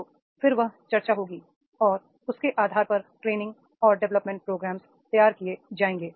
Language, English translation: Hindi, So then that discussion will be there and on basis of which the training and development programs will be designed